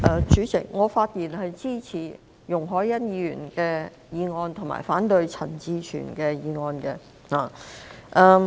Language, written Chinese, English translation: Cantonese, 主席，我發言支持容海恩議員的議案，以及反對陳志全議員的議案。, President I speak to support Ms YUNG Hoi - yans motion and oppose Mr CHAN Chi - chuens motion